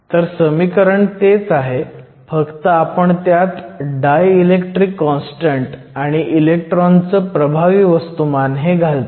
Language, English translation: Marathi, So, The expression is the same except that we are adding the dielectric constant and also the electron effective mass